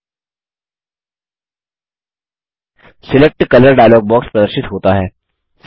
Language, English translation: Hindi, The Select Color dialogue box is displayed